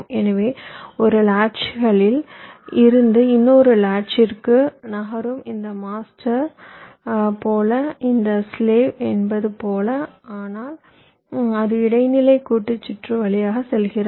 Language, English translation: Tamil, so they will be moving from one latch to another as if this is master, as if this is slave, but it is going through the intermediate combinational circuit